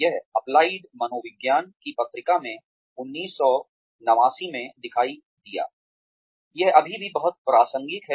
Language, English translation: Hindi, It appeared in the journal of applied psychology, in 1989, still very relevant